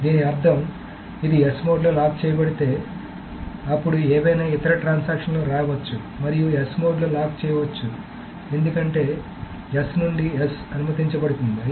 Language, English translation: Telugu, So which means that what happens if this is locked in the S mode, then some other transaction may come and also lock it in the S mode because S to S is allowed